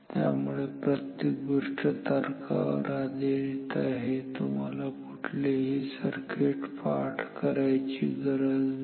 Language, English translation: Marathi, So, everything is quite logical you need not memorize any circuit